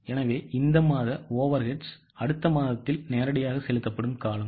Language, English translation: Tamil, So, these months overrides are period just paid in the next month directly